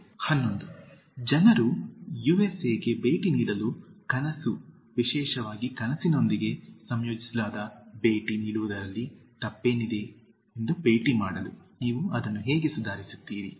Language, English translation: Kannada, 11) People dream to visit the USA, to visit what is wrong with to visit especially when it is combined with dream, how you improve on this